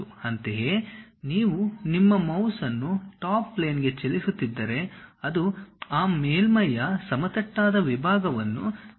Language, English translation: Kannada, Similarly, if you are moving your mouse on to Top Plane, it shows flat section of that surface